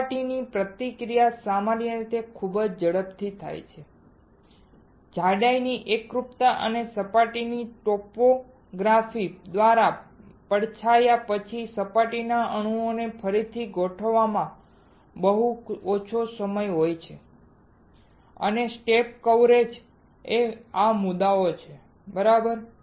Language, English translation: Gujarati, The surface reaction usually occur very rapidly there is very little time of rearrangement of surface atoms after sticking thickness uniformity and shadowing by surface topography and step coverage are issues alright